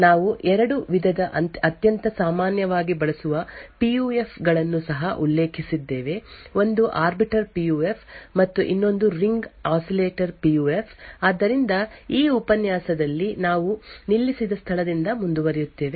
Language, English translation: Kannada, We also mentioned that there are 2 types of very commonly used PUFs, one was the Arbiter PUF and other was the Ring Oscillator PUF, so in this lecture we will continue from where we stopped